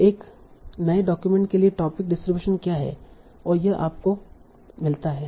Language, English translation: Hindi, So what is the topic distributions for a new document